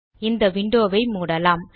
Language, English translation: Tamil, And close this window